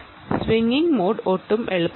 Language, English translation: Malayalam, swinging mode is not going to be easy at all